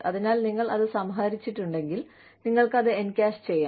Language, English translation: Malayalam, So, if you have accrued it, you know, you can encash it